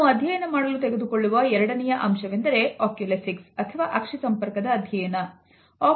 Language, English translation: Kannada, The second aspect which we shall study is known as Oculesics or the study of eye movement